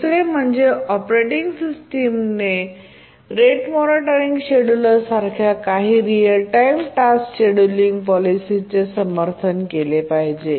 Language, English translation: Marathi, The operating system should support some real time task scheduling policy like the rate monotonic scheduler